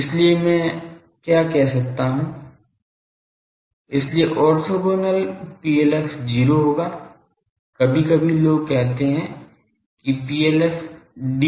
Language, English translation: Hindi, So what I can say; so orthogonal PLF will be 0; sometimes people say PLF dB